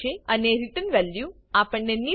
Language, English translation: Gujarati, And We get the return value as nil